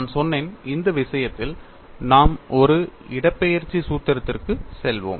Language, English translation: Tamil, And I said, for this case, we would go for a displacement formulation